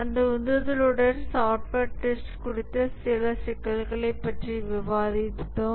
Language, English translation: Tamil, With that motivation, we will discuss some issues on software testing